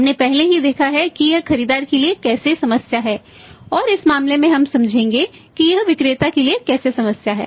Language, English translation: Hindi, We have already seen that how it is a problem to the buyer and in this case we will say how is the problem to the seller